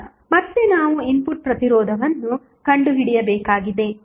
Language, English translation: Kannada, Now, again, we have to find the input resistance